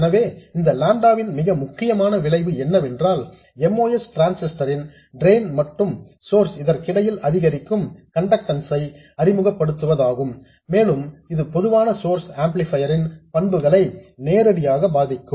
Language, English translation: Tamil, So, the most important effect of this lambda is to introduce an incremental conductance between the drain and source of the most transistor and this will directly affect the characteristics of the common source amplifier